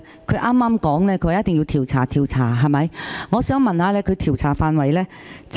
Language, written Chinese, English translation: Cantonese, 他剛才說一定要調查，我想問他有關調查範圍。, He said just now that an investigation must be conducted and I would like to ask him about the scope of such an investigation